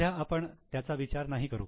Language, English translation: Marathi, So, we will not consider it right now